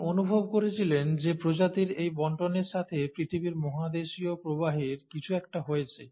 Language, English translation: Bengali, So he felt that this distribution of species has got something to do with the continental drift of the earth itself